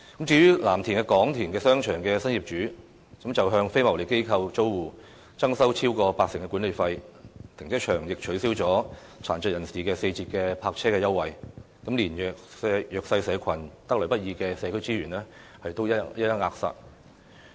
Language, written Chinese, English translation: Cantonese, 至於藍田廣田商場的新業主則向非牟利機構租戶增收超過八成的管理費，停車場亦取消殘疾人士四折的泊車優惠，連弱勢社群得來不易的社區資源都一一扼殺。, As for Kwong Tin Shopping Centre in Lam Tin the new owner increased the management fee by over 80 % for non - profit - making organizations and the car park also abolished the concessionary parking fee equivalent to a 60 % discount for people with disabilities . It shows that even the social resources obtained not easily by the disadvantaged have been exploited